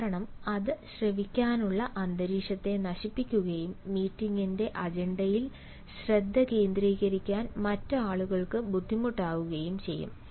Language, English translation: Malayalam, that conversation is not required because that will destroy the atmosphere of listening and it may be difficult for other people to concentrate on the agenda of the meeting